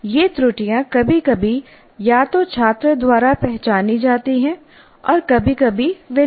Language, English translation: Hindi, These errors, sometimes they are either noted by this, identified by the student, or sometimes they do not